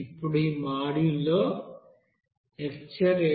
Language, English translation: Telugu, Now in this module, the lecture 8